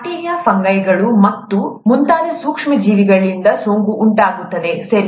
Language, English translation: Kannada, Infection is caused by micro organisms, such as bacteria, fungi and so on, okay